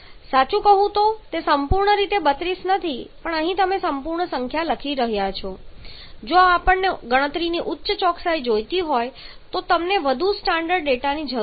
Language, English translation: Gujarati, Truly speaking it is not a perfectly 32 but here you are writing the whole number we need more precise data if we want higher accuracy of calculation